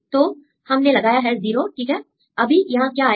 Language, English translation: Hindi, So, put a 0, right what will come here